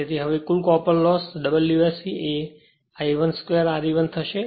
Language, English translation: Gujarati, So, now total copper loss if you see W S C will be I 1 square R e 1